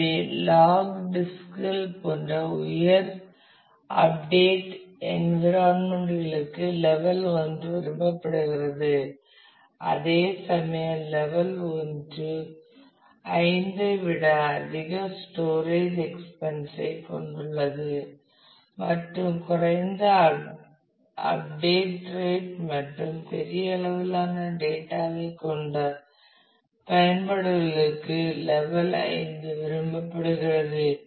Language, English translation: Tamil, So, therefore, level 1 is preferred for high update environments such as log disks and so, on whereas, level one has higher storage cost than 5 also and level 5 is preferred for applications that has low update rate and large volume of data